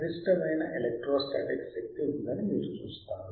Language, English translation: Telugu, When you see that yYou will see that the maximum electrostatic energy is there